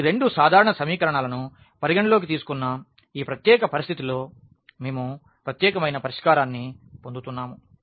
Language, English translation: Telugu, So, in this particular situation when we have considered these two simple equations, we are getting unique solution